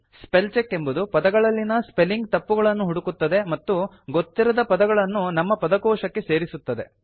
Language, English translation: Kannada, Spellcheck looks for spelling mistakes in words and gives you the option of adding an unknown word to a user dictionary